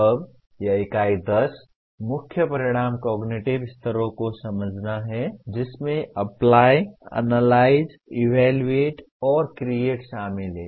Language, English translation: Hindi, Now this Unit 10, the main outcome is understand the cognitive levels including Apply, Analyze, Evaluate and Create